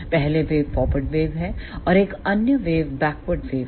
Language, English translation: Hindi, First one is forward wave; and another one is backward wave